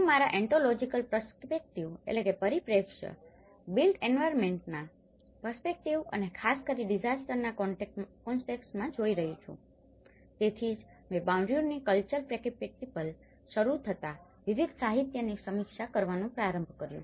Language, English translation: Gujarati, I am looking from my ontological perspective, the built environment perspective and especially, in a disaster context, so that is where I started reviewing a variety of literature starting from Bourdieu’s cultural capital